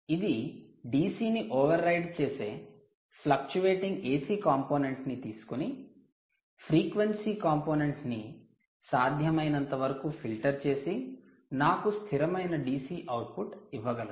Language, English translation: Telugu, it can take fluctuating ac ac component riding over a dc and filter out the frequency components as much as possible and give you a stable dc output